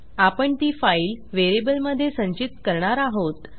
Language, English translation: Marathi, And well store it in the file variable